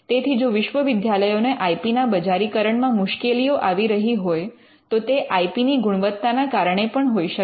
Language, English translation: Gujarati, So, if universities are having problem in commercializing IP it could also be due to the quality of the IP itself